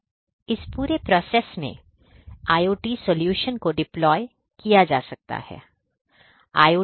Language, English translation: Hindi, So, all of these basically in this entire process, IoT solutions could be deployed